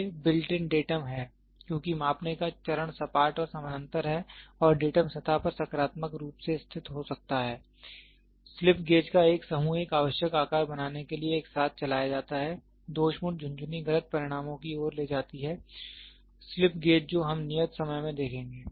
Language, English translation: Hindi, They pose the built in datum because the measuring phase are flat and parallel and can be positively located on the datum surface, a group of blog slap slip gauges are wrung together to create a required size, the faulty wringing leads to inaccurate results we will see what is slip gauge in the in the due course of time